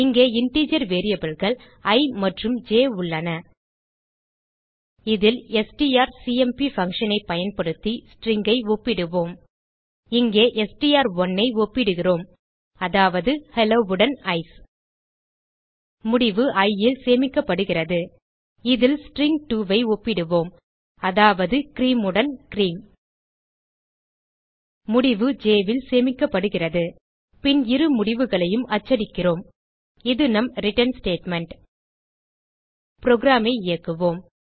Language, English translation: Tamil, Here we have interger variables as i and j In this we will compare the string using the strcmp function Here we compare str1 ie: Ice with Hello The result is stored in i In this we will compare string2 ie: Cream with Cream The result is stored in j Then we print both the results And this is our return statement Let us execute the program